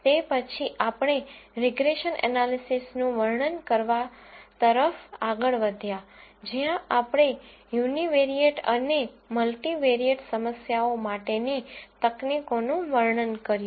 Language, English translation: Gujarati, We then moved on to describing regression analysis where we described techniques for univariate and multivariate problems